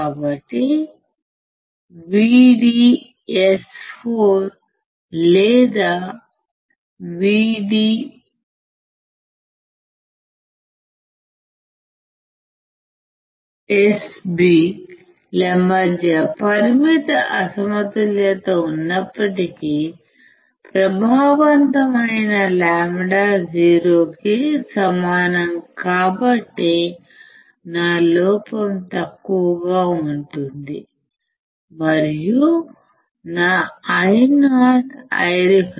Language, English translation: Telugu, So, even there is a finite mismatch between VDS1 or VDS N VDS b, since lambda effective equals to 0, my error is less, and my Io will be equals to I reference